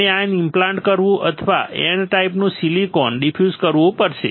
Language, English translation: Gujarati, We have to ion implant or diffuse N type silicon